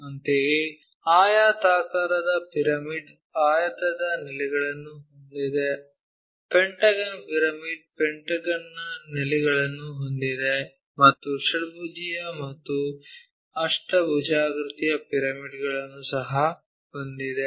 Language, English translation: Kannada, Similarly, rectangular pyramid having base pentagonal pyramid having a base of pentagon, and ah hexagonal and octagonal pyramids also